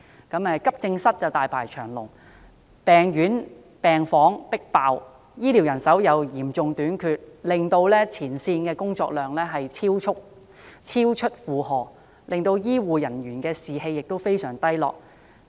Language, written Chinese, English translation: Cantonese, 急症室大排長龍，病房"迫爆"，醫護人手嚴重短缺，令前線員工的工作量超出負荷，醫護人員士氣非常低落。, Such issues include long queues waiting for the services at the accident and emergency AE wards overcrowdedness of medical wards acute shortage of health care personnel the excessive workload of frontline health care staff and their extremely low morale